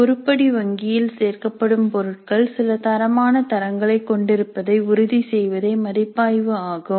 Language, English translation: Tamil, The review would be to ensure that the items which get included in the item bank have certain quality standards